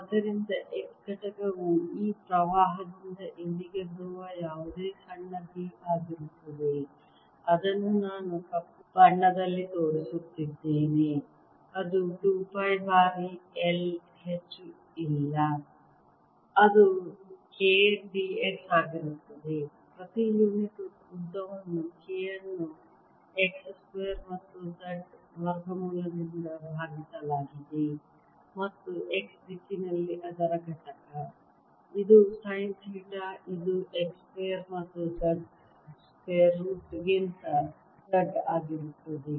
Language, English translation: Kannada, ok, and therefore the x component is going to be whatever small b is coming from this current here, which i am showing in black, which is mu, not over two pi times i, which is going to be k, d, x polynomial length is k divided by square root of x square plus z square and is component in the x direction, which is in sin theta, which is going to be z over square root of x square, z square